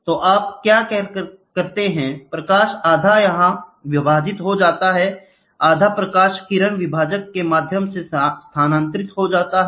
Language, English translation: Hindi, So now, what you do is, the light half gets split here, the half light gets transferred through the reflector through the beam splitter, it moves to the moving unit